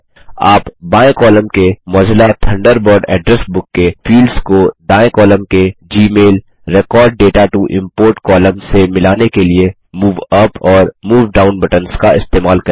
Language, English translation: Hindi, You must use the Move Up and Move Down buttons to match Mozilla Thunderbird Address Book fields column on the left with Gmail Record data to import column on the right